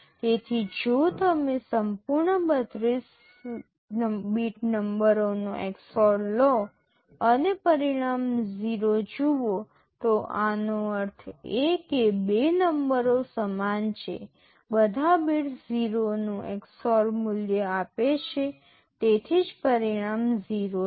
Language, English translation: Gujarati, So, if you take XOR of entire 32 bit numbers and see the result is 0, this means that the two numbers are equal, all the bits are giving XOR value of 0, that is why the result is 0